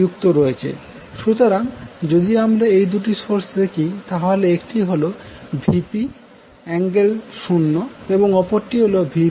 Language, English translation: Bengali, So, if you see these 2 sources, 1 is Vp angle 0 degree another is Vp angle minus 90 degree